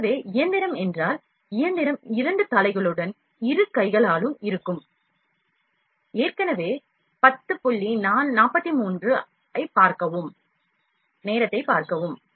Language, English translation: Tamil, So, if the machine is the machine is with two head, with both hands (Refer to Time: 10:43) work